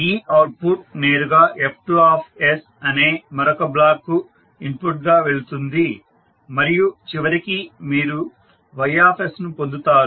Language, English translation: Telugu, So this output goes directly as an input to the another block that is F2s and then finally you get the Ys